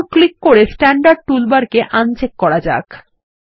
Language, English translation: Bengali, Let us now uncheck the Standard toolbar by clicking on it